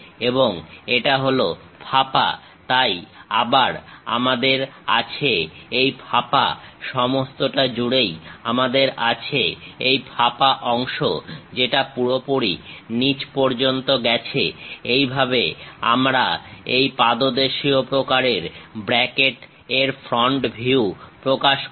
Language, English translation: Bengali, And it is hollow, so again we have that hollow, all the way we have this hollow portion which goes all the way down; this is the way we represent front view of this pedestal kind of bracket